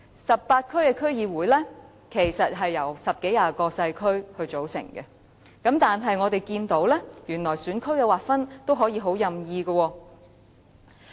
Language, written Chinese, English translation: Cantonese, 十八區區議會是由十多二十個細區組成，但我們發現選區的劃分原來也是相當任意的。, The 18 DCs are composed of a dozen to 20 small constituencies yet we discover that the demarcation of constituencies is quite arbitrary